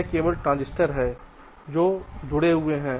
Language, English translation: Hindi, but the transistors are not interconnected